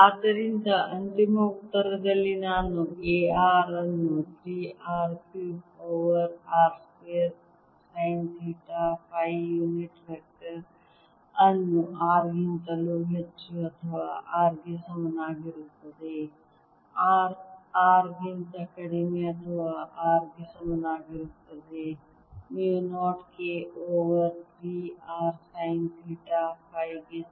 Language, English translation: Kannada, so in the final answer i have: a r equals mu naught k over three r cubed over r square sine theta phi unit vector for r greater than equal to r and is equal to mu naught k over three r sine theta phi for r lesser than r